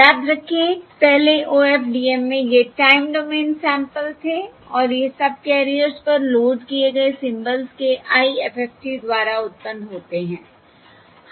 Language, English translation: Hindi, Remember, previously in OFDM, these were the time domain, time domain samples and these are generated by the IFFT of the symbols loaded onto the subcarriers